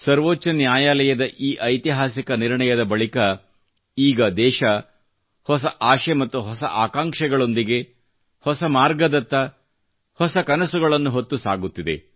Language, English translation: Kannada, After this historic verdict of the Supreme Court, the country has moved ahead on a new path, with a new resolve…full of new hopes and aspirations